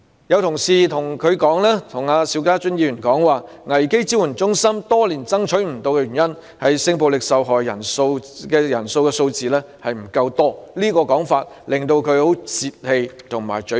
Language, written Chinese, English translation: Cantonese, 有同事對邵家臻議員說，危機支援中心多年來未能設立的原因是性暴力受害人的數字不夠多，這種說法令他十分泄氣和沮喪。, Mr SHIU Ka - chun was told by some fellow colleagues that the figures of sexual violence victims maintained all these years were not large enough to support the setting up of a crisis support centre and this remark was extremely frustrating and disappointing to him